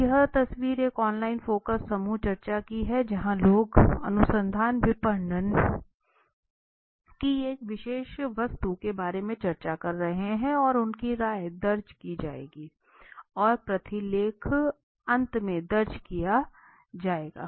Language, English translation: Hindi, so this is an you know So this is an you know photo a screen shot of a online focus group discussion where people are discussing about a particular object of marketing research right and their opinions are will be recorded the transcript will be recorded at the end okay